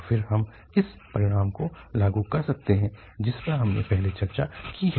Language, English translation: Hindi, And then we can apply the result which we have discussed earlier